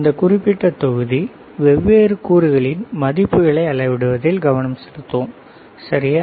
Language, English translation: Tamil, this particular module we are focusing on measuring the values of different components, right